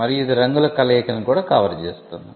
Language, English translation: Telugu, And it can also cover combination of colours